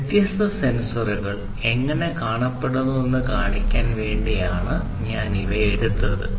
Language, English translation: Malayalam, I picked up these ones in order to show you how different sensors look like